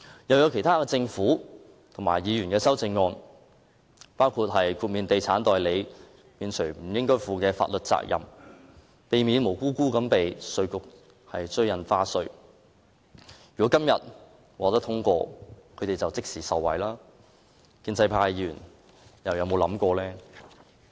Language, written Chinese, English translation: Cantonese, 還有政府和議員提出的其他修正案，包括豁免地產代理某些法律責任，以免他們無辜被稅務局追討印花稅，如果《條例草案》今天獲得通過，他們便可即時受惠，建制派議員又有否想過？, There are other amendments proposed by the Government and other Members some are concerned with exempting real estate agents from certain legal liabilities so that the Inland Revenue Department would not ask them to pay stamp duty . If the Bill is passed today these people will immediately benefit . Have the pro - establishment Members thought about this point?